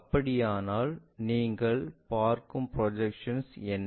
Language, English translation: Tamil, If that is the case, what is the projection you are seeing